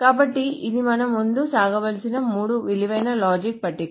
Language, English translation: Telugu, So this is the three valued logic table that we require to move forward